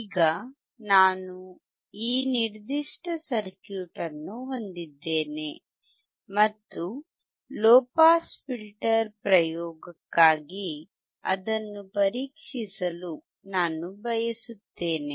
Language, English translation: Kannada, Now I have this particular circuit and I want to test it for the low pass filter experiment